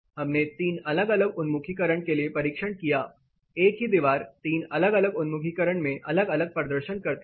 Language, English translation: Hindi, This we tested for three different orientations, the same wall performs differently in 3 different orientations